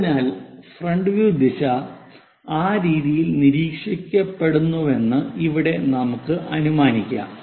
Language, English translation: Malayalam, So, here let us assume that front view direction is observed in that way